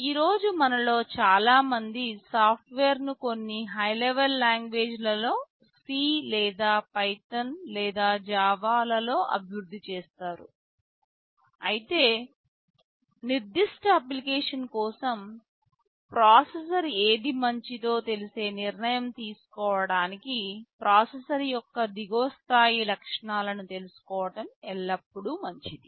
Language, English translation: Telugu, Today most of us develop the software in some high level language, either in C or in Python or in Java, but it is always good to know the lower level features of the processor in order to have an informed decision that which processor may be better for a particular application